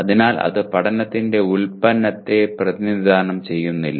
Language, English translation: Malayalam, So it is not a does not represent the product of learning